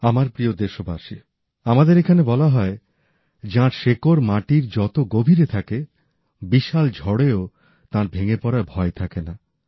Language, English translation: Bengali, My dear countrymen, it is said here that the one who is rooted to the ground, is equally firm during the course of the biggest of storms